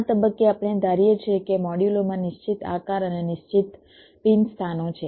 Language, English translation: Gujarati, at this stage we assume that the modules has fixed shapes and fixed pin locations